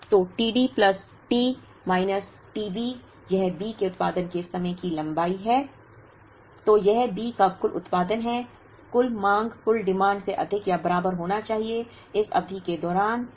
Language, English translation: Hindi, So, this is the total production of B, should be greater than or equal to the total demand of D during this period